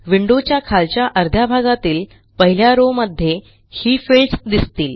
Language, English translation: Marathi, Notice these fields in the bottom half of the window in the first row